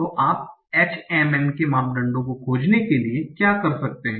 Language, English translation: Hindi, So what you can do for finding the parameters of HMMM